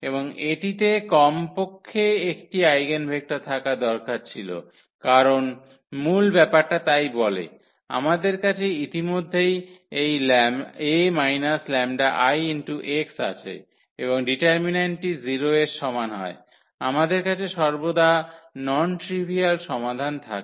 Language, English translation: Bengali, And it had it just must to have at least 1 eigenvectors because that is what the foundation says so, we have already this a minus lambda I and the determinant is equal to 0 we have non trivial solution always